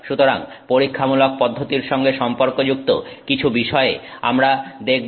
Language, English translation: Bengali, So, we look at some points associated with the experimental approach